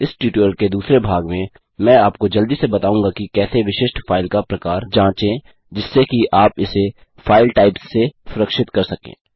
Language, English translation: Hindi, In the second part of this tutorial, Ill quickly teach you how to check the specific file type so you can protect it against file types